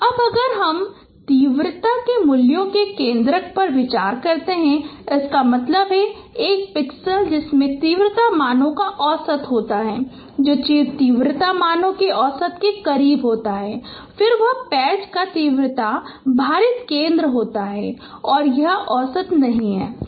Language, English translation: Hindi, Now if I consider the center of the intensity values that means a pixel which contains the average of the intensity values which is close to the average of the intensity values then or sorry that is intensity weighted center of match it is not average